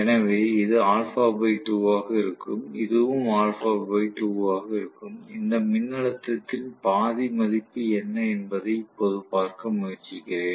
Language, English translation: Tamil, So this is going to be alpha by 2, this is also going to be alpha by 2, right and I am trying to now look at what is the value of half of this voltage